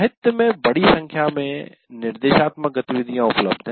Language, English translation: Hindi, See, there are infinite number of instructional activities available in the literature